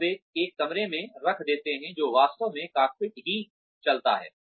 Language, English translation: Hindi, And, they put in a room, they actually, that the cockpit itself moves